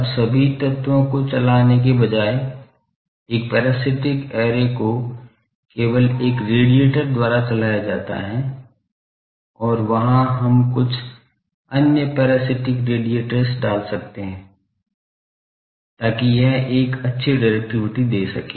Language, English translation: Hindi, Now, instead of that, instead of driving all the elements, a parasitic array is fed by only one radiator and there we can put some other parasitic radiators, to give it a good directivity